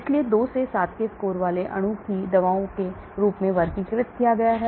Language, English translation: Hindi, So molecule with the score of 2 to 7 are classified as drugs